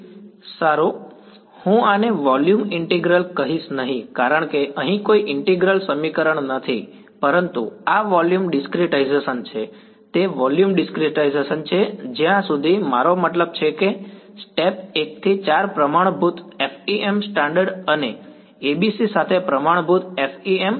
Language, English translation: Gujarati, So far, well I will not call this volume integral because there is no integral equation over here, but this is the volume discretization it is a volume discretization, until I mean step 1 to 4 are standard FEM standard and standard FEM with ABC ok